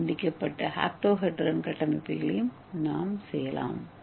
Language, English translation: Tamil, And we can also make a DNA truncated octahedron structures okay